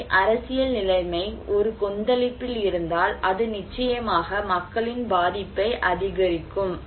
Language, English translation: Tamil, So, if the political situation is in a turmoil that will of course increase people's vulnerability